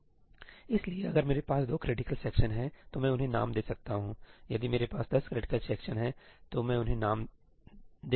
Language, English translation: Hindi, So, if I have two critical sections, I can give them names, if I have ten critical sections I can give them names